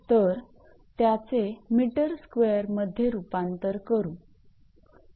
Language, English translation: Marathi, So, convert it to meter square